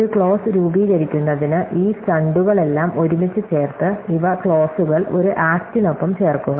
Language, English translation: Malayalam, So, we have these all stunt together to form a clause, put these clauses together with an act